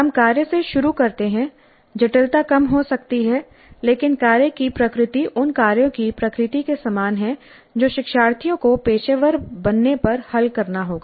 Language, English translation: Hindi, We start with the task the complexity may be low but the nature of the task is quite similar to the nature of the tasks that the learners would have to solve when they become profession